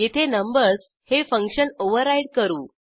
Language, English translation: Marathi, Here we override the function numbers